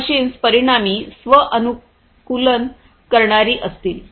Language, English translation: Marathi, So, these machines are going to be self adaptive consequently